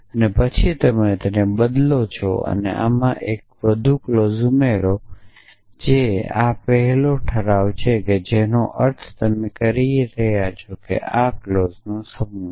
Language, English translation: Gujarati, And then you replace or you add 1 more clause to this which is the first resolvent which means you are saying that this set of clause